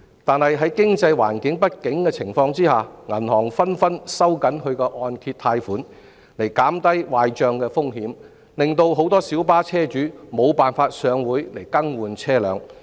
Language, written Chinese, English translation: Cantonese, 但在經濟不景的情況下，銀行紛紛收緊按揭貸款以減低壞帳風險，令很多小巴車主無法上會更換車輛。, Yet banks are tightening mortgage lending to reduce default risks in the midst of an economic downturn making it impossible for many minibus owners to take out mortgages for vehicle replacement